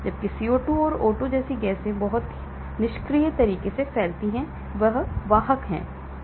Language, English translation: Hindi, whereas gases like CO2, O2 diffuse in a very passive manner, this is the carrier